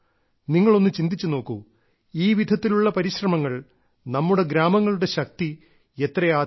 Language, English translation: Malayalam, You must give it a thought as to how such efforts can increase the power of our villages